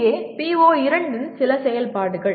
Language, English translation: Tamil, Here some activities of PO2